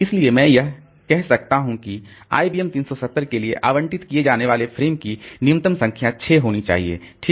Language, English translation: Hindi, So, I can say that for IBM 370 the minimum number of frames that should be allocated to it should be six